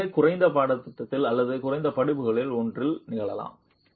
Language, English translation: Tamil, It can happen at the lowest course or one of the lower courses